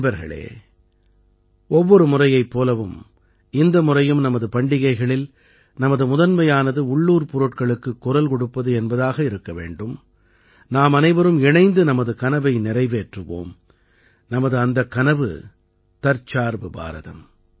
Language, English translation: Tamil, Friends, like every time, this time too, in our festivals, our priority should be 'Vocal for Local' and let us together fulfill that dream; our dream is 'Aatmnirbhar Bharat'